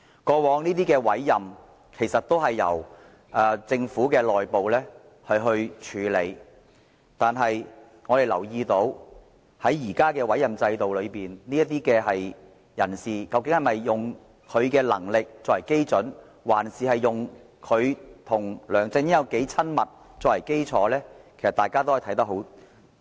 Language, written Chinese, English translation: Cantonese, 過去，這些委任也由政府內部處理，但我們留意到現時的委任制度下，這些人事任命究竟是以他們的能力作準，還是以他們與梁振英的親密程度為基礎，這點大家可以清楚看到。, In the past these appointments were also handled by the Government internally . However when we look at the appointments under the current system we will wonder whether the appointments are made according to the abilities of the appointees or their relationship with LEUNG Chun - ying . This point is obvious to all